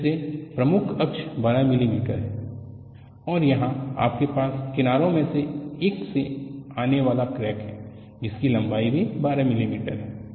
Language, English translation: Hindi, Again, the major access is 12 millimeter, and here you havea crack coming from one of the edges which is also having a length of 12 millimeter